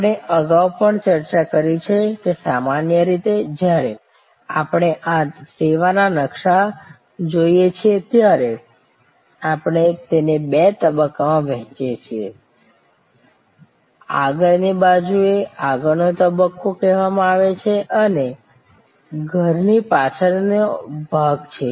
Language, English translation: Gujarati, We have also discussed earlier, that normally when we look at this service blue print, we divide it in two stages, the front side is called the front stage, this is the back of the house